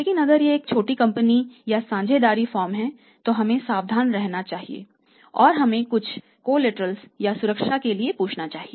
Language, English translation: Hindi, But if it is a small company or a partnership firm we have to be careful or we should ask for some collateral and some security